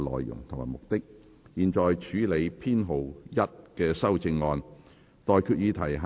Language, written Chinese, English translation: Cantonese, 現在處理編號1的修正案。, The committee will now proceed to deal with Amendment No . 1